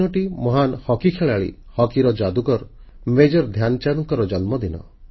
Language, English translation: Odia, This is the birth anniversary of the great hockey player, hockey wizard, Major Dhyan Chand ji